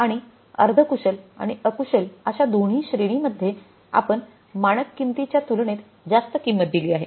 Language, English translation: Marathi, And in both the categories that is semi skilled and unskilled we have paid the higher price as against the standard price